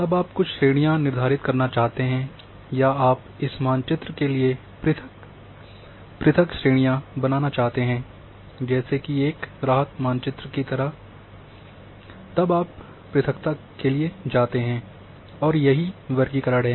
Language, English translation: Hindi, Now you want to give certain categories or you want to create discrete classes for this map,relief map kind of thing then you go for discretization that is classification